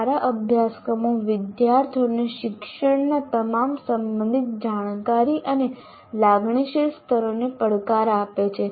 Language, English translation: Gujarati, Good courses challenge students to all the relevant cognitive and affective levels of learning